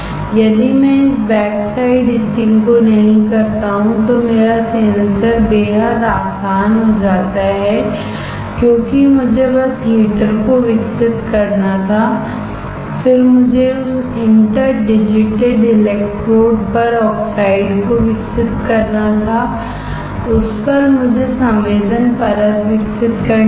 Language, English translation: Hindi, If I do not do this backside etching then my sensor becomes extremely easy, because I had to just keep on growing the heater, then I had to grow the oxide on that interdigitated electrodes, on that I had to grow the sensing layer that is it